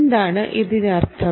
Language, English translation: Malayalam, what does it mean